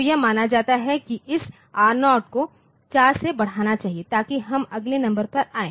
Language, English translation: Hindi, So, it is assumed to this R0 should be incremented by 4 so, that we come to the next number